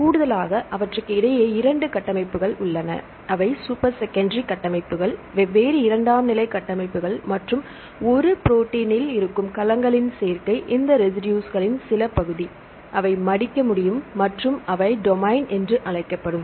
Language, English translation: Tamil, In addition, there are 2 structures in between them; they are super secondary structures, the combination of different secondary structures plus domains that is in a protein some part of this residues; they can fold and they can perform functions they are called domains